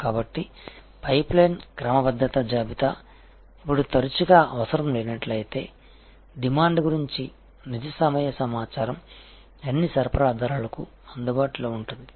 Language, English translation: Telugu, So, the pipe line sort of inventory, now if often not required, because real time information about demand will be available to all the suppliers